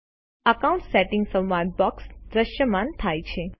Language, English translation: Gujarati, The Accounts Settings dialog box appears